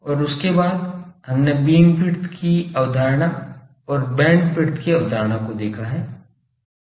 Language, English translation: Hindi, And after that we have seen the concept of beamwidth and concept of bandwidth